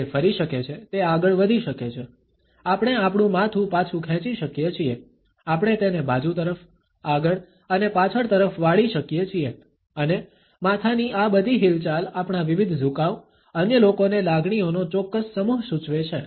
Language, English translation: Gujarati, It can turn, it can just forward; we can withdraw our head, we can tilt it sideways, forward and backward and all these movements of the head, our various tilts suggest a particular set of emotions to the other people